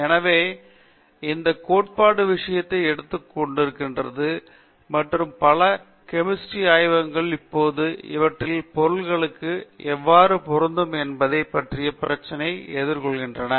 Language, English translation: Tamil, So, this theory has taken over the thing and many chemistry laboratories are now facing the problem of how to apply these to their materials